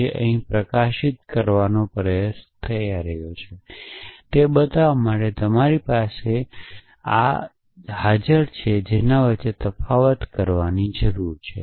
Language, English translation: Gujarati, To show what I am trying to highlight here is that you need to distinguish between what you have and what you do not have